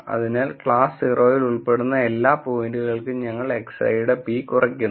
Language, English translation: Malayalam, So, for all the points that belong to class 0 we are minimizing p of x i